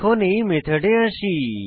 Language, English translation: Bengali, Let us come to this method